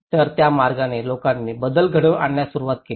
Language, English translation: Marathi, So in that way, people started adapting to the change